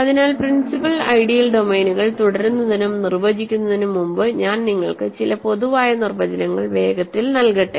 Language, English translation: Malayalam, So, before I continue and define principal ideal domains, let me quickly give you some general definitions